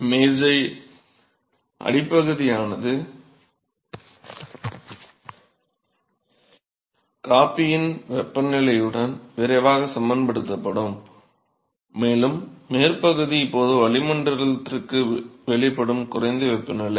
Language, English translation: Tamil, So, the bottom of the table temperature would quickly equilibrate with that of the coffee and the top is now, exposed to the atmosphere is that a lower temperature